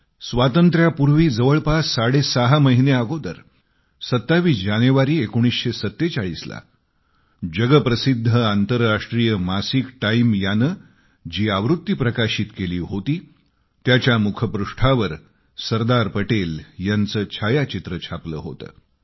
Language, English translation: Marathi, Six months or so before Independence, on the 27th of January, 1947, the world famous international Magazine 'Time' had a photograph of Sardar Patel on the cover page of that edition